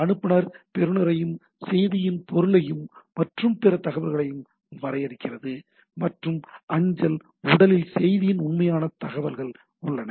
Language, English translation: Tamil, Message there is a email header, defines the sender receiver and subject of the message and other information and mail body contains the actual information of the message, right